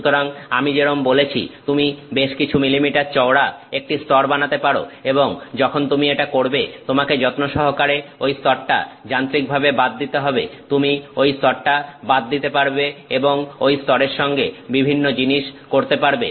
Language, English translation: Bengali, So, like I said you can make several millimeter thick layers and once you have done that, you can carefully machine and remove that layer and you can remove that layer and you can do various things with that layer